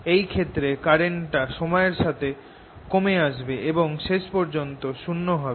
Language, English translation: Bengali, in this case, it is decreasing with time and eventually going to zero